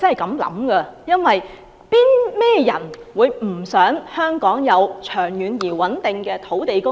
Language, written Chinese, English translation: Cantonese, 甚麼人不想香港有長遠而穩定的土地供應？, Who does not want Hong Kong to have a long - term and steady land supply?